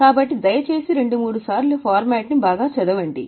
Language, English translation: Telugu, So, please go through the format two three times